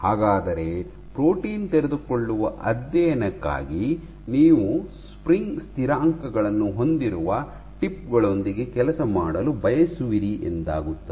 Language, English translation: Kannada, So, for protein unfolding studies you would want to work with tips which have spring constants